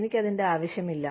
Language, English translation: Malayalam, I do not need that